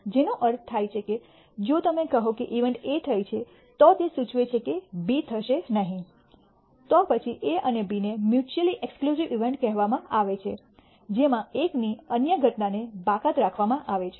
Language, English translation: Gujarati, Which means, if you say that event A has occurred then it implies B has not occurred, then A and B are called mutually exclusive events one excludes the other occurrence of one excludes the other